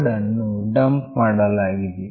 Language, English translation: Kannada, The code has been dumped